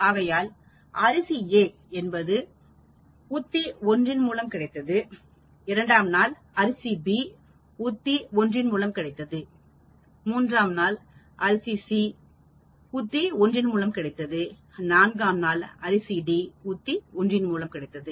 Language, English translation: Tamil, So, day one I have the rice A getting treatment strategy 1, and then day two I have rice B getting the treatment strategy 1, day three I have the rice C getting the treatment strategy 1, and day four I am having the rice variety D getting the treatment strategy 1 and so on actually